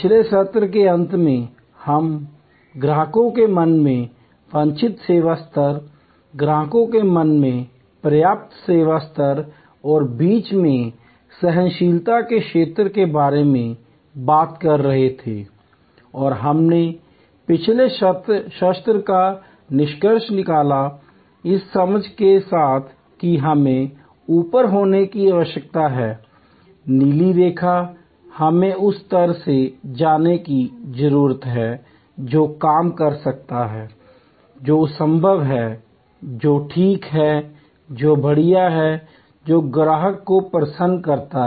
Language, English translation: Hindi, At the end of last session, we were talking about the desired service level in customers mind, the adequate service level in customers mind and the zone of tolerance in between and we concluded the last session, with the understanding that we need to be above the blue line, we need to go from the level of what works, what is feasible, what is ok to what wows, what delights the customer